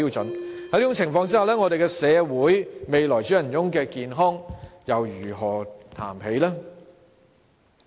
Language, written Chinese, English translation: Cantonese, 在這種情況下，我們的社會未來主人翁的健康又如何談起？, Such being the case how can we talk about the health of the future masters of our society?